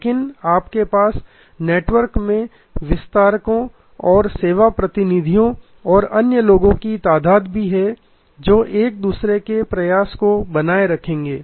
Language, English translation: Hindi, But, you also have number of distributors and service representatives and other people in the network who will sustain each other's effort